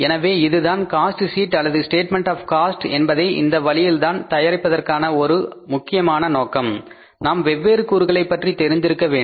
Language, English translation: Tamil, So, this is the one important purpose for preparing the cost sheet or the statement of the cost this way that we have to know the different components